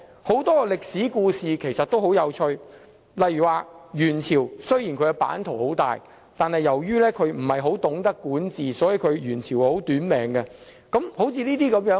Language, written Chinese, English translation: Cantonese, 很多歷史故事其實十分有趣，例如元朝的版圖雖然很大，但由於不太懂得管治，所以元朝相當"短命"。, Many historical events are actually very interesting . For example despite its vast territory the Yuan Dynasty was rather short - lived due to poor governance